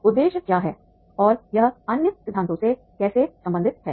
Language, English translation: Hindi, What is the objectives are and how it is related to other theories